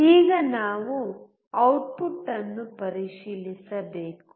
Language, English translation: Kannada, Now, we have to check the output